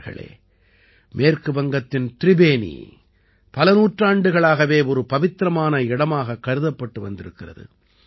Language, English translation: Tamil, Friends, Tribeni in West Bengal has been known as a holy place for centuries